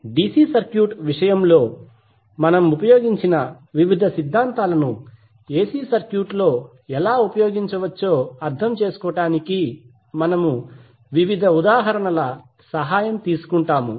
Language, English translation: Telugu, So what we will do, we will take the help of various examples to understand how the various theorems which we use in case of DC circuit can be utilized in AC circuit as well